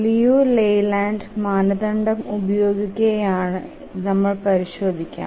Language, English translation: Malayalam, But let's look at the Leland criterion